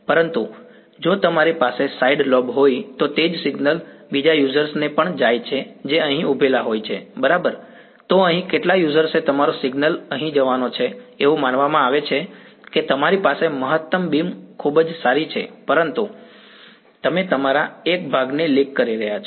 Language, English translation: Gujarati, But if you have a side lobe that same signal is also going to another user that is standing over here right, some users here your intended signal is supposed to go here you have the maximum beam very good, but your leaking your one part of the beam over here